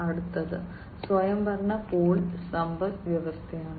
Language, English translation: Malayalam, Next comes autonomous pull economy